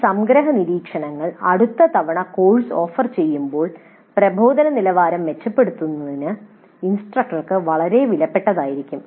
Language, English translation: Malayalam, These summary observations will be very valuable to the instructor in improving the quality of instruction next time the course is offered